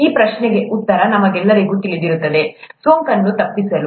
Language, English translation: Kannada, All of us would know the answer to this question – to avoid infection